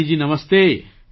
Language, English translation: Gujarati, Kalyani ji, Namaste